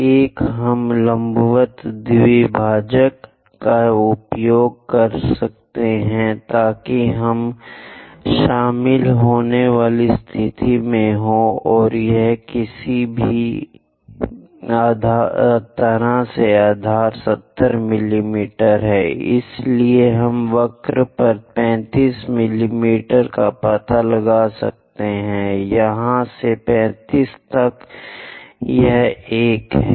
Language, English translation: Hindi, One we can use perpendicular bisector so that we will be in a position to join; or any way base is 70 mm, so we can locate 35 mm on the curve, from here to here 35, this is the one